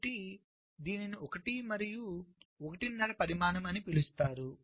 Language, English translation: Telugu, so why it is called one and a half dimension